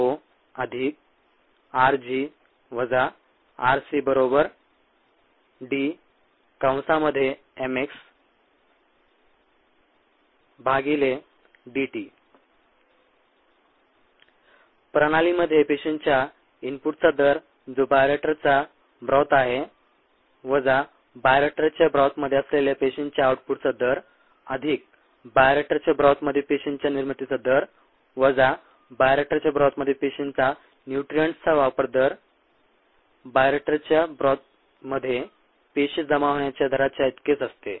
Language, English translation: Marathi, you might recall this ah equation here: the rate of input of the cells into the system, which is the bioreactor broth, minus the rate of output of cells from the bioreactor broth, plus the rate of generation of cells ah in the bioreactor broth, minus the rate of consumption of cells in the bioreactor broth, equals the rate of accumulation of cells in the bioreactor broth